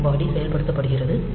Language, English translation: Tamil, So, loop body is executed